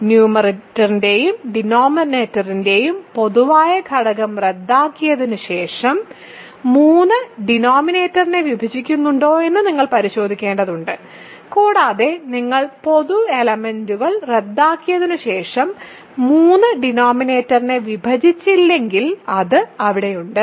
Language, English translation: Malayalam, So, you have to check whether 3 divides the denominator or not after you cancel the common factor of numerator and denominator and after you cancel the common factors, if 3 does not divide the denominator, it is there